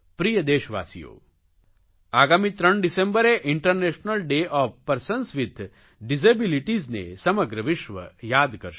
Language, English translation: Gujarati, Dear countrymen, the entire world will remember 3rd December as "International Day of Persons with Disabilities"